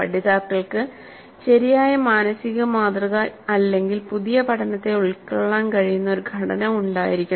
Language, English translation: Malayalam, And the learners must have a correct mental model, a structure which can accommodate the new learning